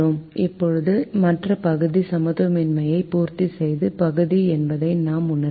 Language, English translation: Tamil, this is the other region is the region that satisfies the inequality